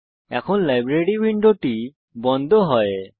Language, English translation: Bengali, Now, lets close the Library window